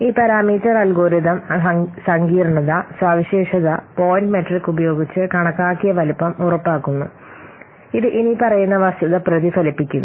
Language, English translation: Malayalam, So this parameter, this parameter algorithm complexity, it ensures that the computed size using the feature point metric, it reflects the following fact